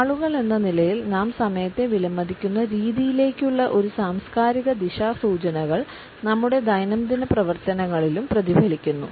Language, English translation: Malayalam, These cultural orientations towards the way we value time as people are reflected in our day to day activities also